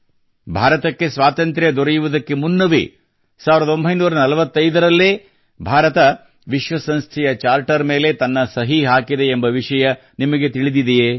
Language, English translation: Kannada, Do you know that India had signed the Charter of the United Nations in 1945 prior to independence